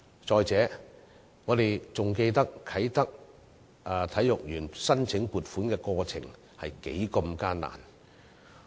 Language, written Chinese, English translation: Cantonese, 再者，我們還記得啟德體育園申請撥款的過程多麼艱難。, Besides we still remember the many obstacles in the funding application procedures for building the Multi - purpose Sports Complex at Kai Tak